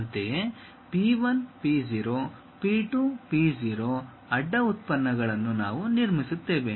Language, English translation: Kannada, Similarly P 1, P 0; P 2, P 0 cross products we will construct